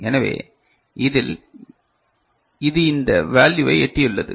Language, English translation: Tamil, So, in this say, it has reached this value